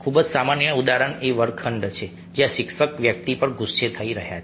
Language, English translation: Gujarati, very common example is classrooms where a teacher is getting angry with a person